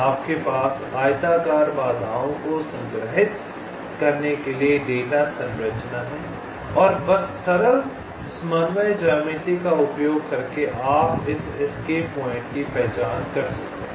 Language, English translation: Hindi, you have the data structure to store the rectangular obstacles and just using simple coordinate geometry you can identify this escape points right